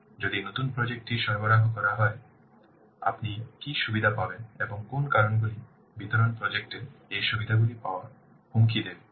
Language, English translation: Bengali, So, if the new project will be delivered, so what benefits will get and which factors will threaten to get these benefits of the delivered project